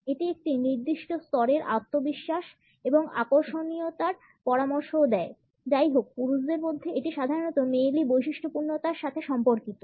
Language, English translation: Bengali, It also suggest a certain level of confidence and attractiveness; however, in men it is normally associated with something effeminate